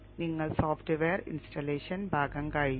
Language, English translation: Malayalam, Your software installation portion is over